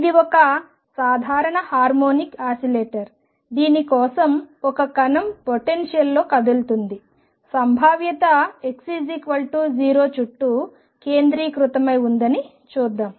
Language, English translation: Telugu, And that is a simple harmonic oscillator for which a particle moves in a potential let us see the potential is centered around x equals 0